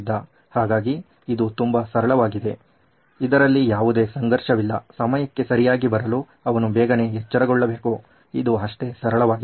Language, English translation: Kannada, So this is as simple as that, so there is no conflict in this he just has to wake up early to be on time that is as simple as that